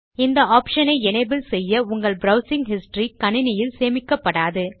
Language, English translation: Tamil, Enabling this option means that the history of your browsing will be not be retained in your computer